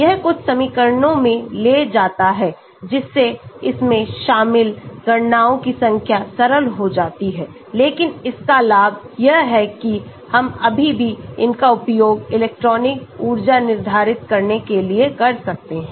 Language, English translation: Hindi, it takes in some equations thereby it simplifies the number of calculations involved but advantage of this is we can still use it to determine electronic energy